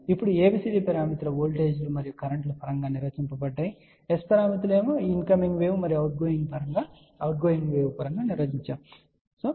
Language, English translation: Telugu, Now, ABCD parameters are defined in terms of voltages and currents, S parameters are defined in terms of incoming wave and outgoing wave